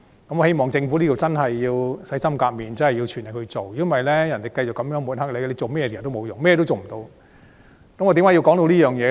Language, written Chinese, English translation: Cantonese, 我希望政府真的能洗心革面，全力以赴，否則便會被人繼續抹黑，做甚麼也是徒然，只會一事無成。, I hope the Government can really turn over a new leaf and exert its very best or else it can expect more smearing campaigns to come and all of its efforts will just end in vain with nil achievement